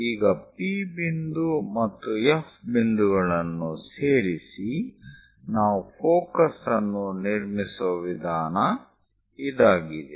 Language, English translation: Kannada, Now join P point and F point; this is the way we construct focus